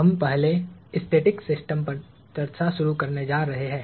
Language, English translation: Hindi, We are going to start discussing static systems first, stationary systems